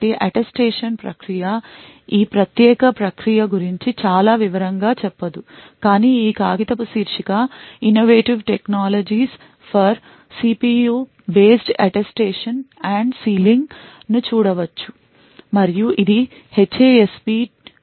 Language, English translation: Telugu, So, the Attestation process is will not go into too much detail about this particular process but you could actually look at this paper title Innovative Technologies for CPU based Attestation and Sealing and this was published in HASP 2015, thank you